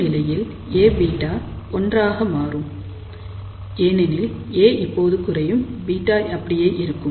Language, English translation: Tamil, So, a condition comes, when A beta will become 1, why, because a has now reduced beta remains same